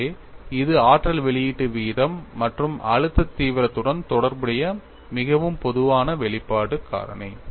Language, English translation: Tamil, So, this is a very generic expression in relating energy release rate and stress intensity factor